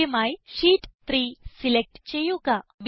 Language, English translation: Malayalam, First lets select Sheet 3